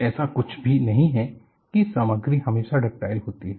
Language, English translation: Hindi, There is nothing like a material is always ductile